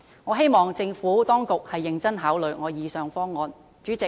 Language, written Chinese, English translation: Cantonese, 我希望政府當局認真考慮我以上的方案。, I hope the Administration will seriously consider the proposals made by me just now